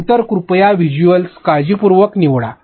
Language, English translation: Marathi, Then visuals please select them carefully